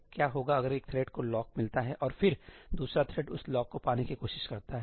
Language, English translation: Hindi, what will happen if one thread gets the lock and then another thread tries to get that lock